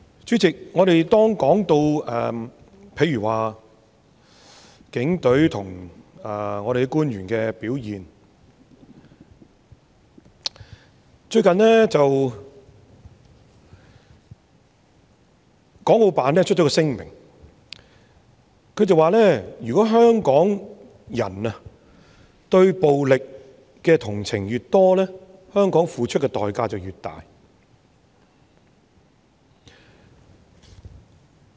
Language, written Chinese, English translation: Cantonese, 主席，我們說到警隊和官員的表現，國務院港澳事務辦公室最近發表了一份聲明，說如果香港人對暴力的同情越多，香港付出的代價便越大。, Chairman speaking of the performance of the Police and the officials the Hong Kong and Macao Affairs Office of the State Council has published a statement recently saying that the more sympathetic Hong Kong people are towards violence the greater the price Hong Kong has to pay